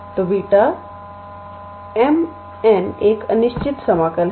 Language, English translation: Hindi, So, beta m, n is an improper integral